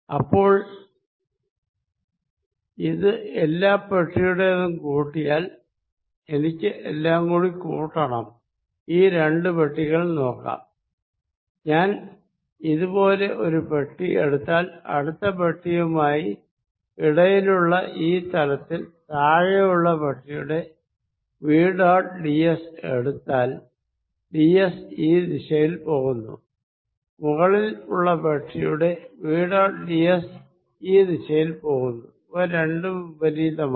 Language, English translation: Malayalam, So, now, if I add this over all boxes I have to add this or over all boxes, look at two particular boxes, if I take one box like this I leave look at an adjacent box on this common surface v dot d s for the lower box would have d s going this way and for the upper box d s is going this way, there are opposite in signs